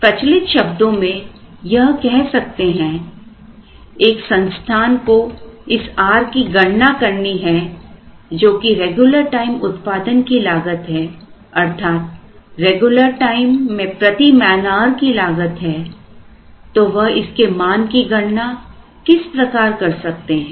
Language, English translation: Hindi, It is only customary to say that if we want to find out this r which is the cost of regular time production, which means cost per man hour of regular time, how does an organization compute this value